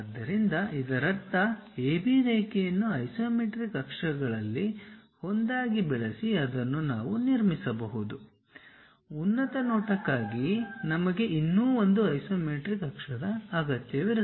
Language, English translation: Kannada, So, that means, use AB line as one of the isometric axis on that we can really construct it; for top view we require one more isometric axis also